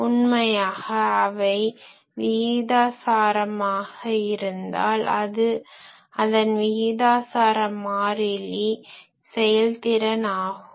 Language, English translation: Tamil, If, obviously, they are proportional the proportionality constant is efficiency